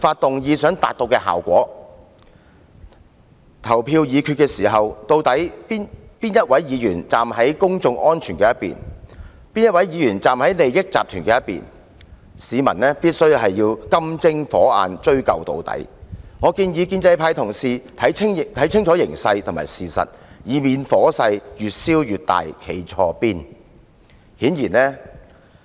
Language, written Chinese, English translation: Cantonese, 就議案進行表決時，究竟哪位議員站在公眾安全一方，哪位議員站在利益集團一方，市民必須"金睛火眼"追究到底，我建議建制派同事看清形勢和事實，以免火勢越燒越大，令他們"站錯邊"。, When it comes to voting on the motions the public should keep an eagle eye on which Members stand on the side of public safety and which Members stand on the side of parties with vested interests . I suggest the pro - establishment Members to get a clear understanding of the situation and the truth so as to avoid taking the wrong stance when the rage intensifies